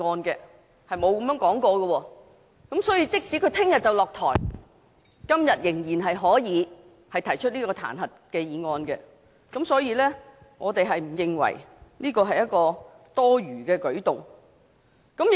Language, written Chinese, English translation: Cantonese, 因此，即使他明天便要下台，今天仍可以提出這彈劾議案，所以我們不認為這是多餘的舉動。, Thus even if the Chief Executive has to step down tomorrow a motion of impeachment can still be moved today . Therefore I do not think that moving this motion is redundant